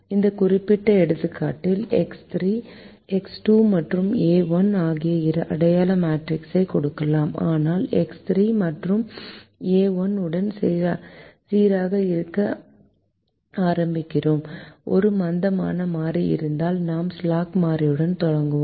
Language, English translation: Tamil, in this particular example, x two and a one also can give us the identity matrix, but we start with x three and a one to be consistent that if there is a slack variable we start with the slack variable